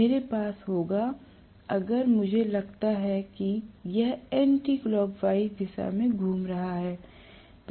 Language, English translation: Hindi, I will have if I assume that it is rotating in anticlockwise direction